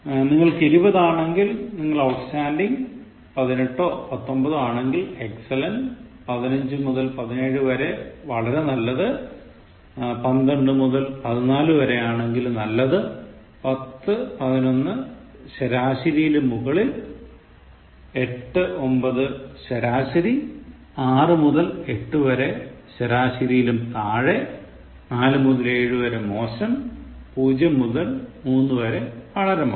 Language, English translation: Malayalam, So, if you are 20 out of 20 so you are Outstanding, if you have got18 or 19 your score is Excellent, if it is between 15 and 17 it is Very Good, between12 and 15 is Good, 10 to 11 is Fair, 8 to 9 is Average, 6 to 8 is Below Average, 4 to 7 is Poor and 0 to 3 is Very Poor